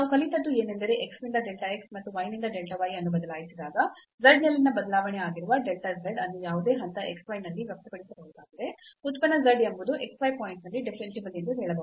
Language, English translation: Kannada, And what we have learnt that a function z is said to be differentiable at the point x y, at any point x y; if at this point we can express this delta z which is the variation in z when we when we vary x by delta x and y by delta y